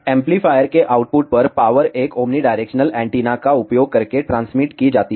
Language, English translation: Hindi, The power at the output of the amplifier is transmitted in a using an omnidirectional antenna